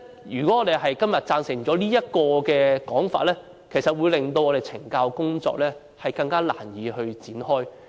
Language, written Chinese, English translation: Cantonese, 如果我們今天贊成這項議案，會令懲教工作更難以展開。, If we support this motion today it will become increasingly difficult to carry out correctional work